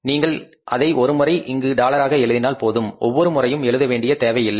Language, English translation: Tamil, Or you can put this dollars here one time so you don't need to put it again time and again